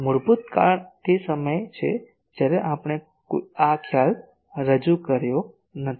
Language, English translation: Gujarati, The reason is basically that time we have not introduced this concept